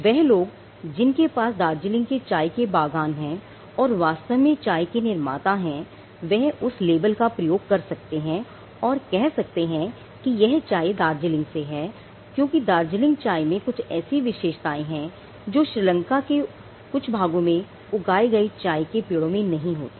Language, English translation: Hindi, The people who are having plantations in Darjeeling and who are actually in the manufacturing and production of the tea they can use that label to say that this tea is from Darjeeling, because the Darjeeling tea it has been found out that has certain properties which is not there for tree that is grown in core or in some part of Sri Lanka it is not there